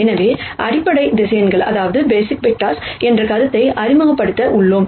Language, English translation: Tamil, So, we are going to introduce the notion of basis vectors